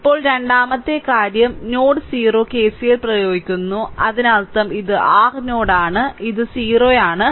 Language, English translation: Malayalam, Now second thing is you apply KCL at node o; that means, let me these thing this is your node o right it is o